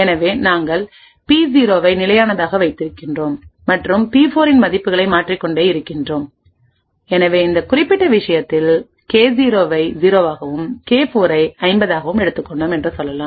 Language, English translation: Tamil, So, we keep P0 a constant and keep changing the values of P4, so in this particular case we have let us say taken the K0 to be 0, K4 to be 50 let us assume that this is our secret information